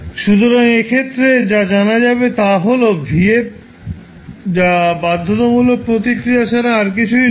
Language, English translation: Bengali, So, what happens in that case you term vf is nothing but forced response